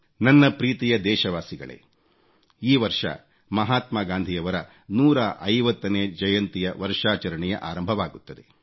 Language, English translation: Kannada, My dear countrymen, this year Mahatma Gandhi's 150th birth anniversary celebrations will begin